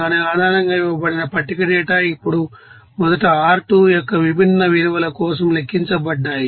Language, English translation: Telugu, Based on that, you know tabulated data given, now values of ur for the different values of R2 first calculated